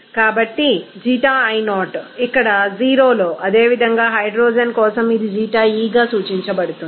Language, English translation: Telugu, So in Xii0 = 0 here, whereas, similarly for hydrogen it will be represented as Xie